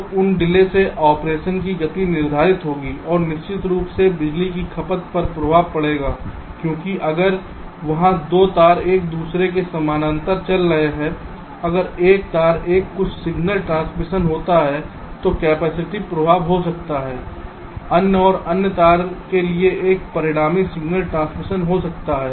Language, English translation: Hindi, so those delays will determine the speed of operation and of course there will be an impact on power consumption because if there are two wires running parallel to each other, if there is some signal transition on one wire, there can be an capacitive effect on the other and there can be also a resulting signal transitioning to the other wire